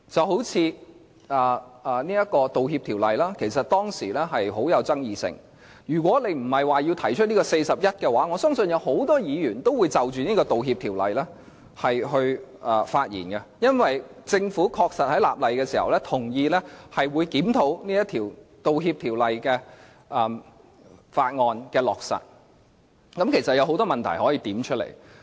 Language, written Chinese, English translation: Cantonese, 好像《道歉條例》，便很具爭議性，如果不是根據《議事規則》第401條提出議案的話，我相信很多議員都會就着這項條例發言，因為政府在立例的時候同意，會檢討《道歉條例》的落實，若有問題可以指出來。, Apology Ordinance for instance is highly controversial . I believe that many Members will speak on this ordinance if not because of the motion moved under RoP 401 . While enacting the Apology Ordinance the Government agreed to review its implementation and said they would welcome any relevant comment